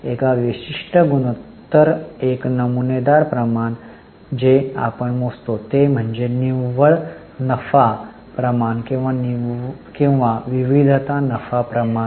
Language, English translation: Marathi, One typical ratios, which we can calculate is net profit ratio or variety of profitability ratios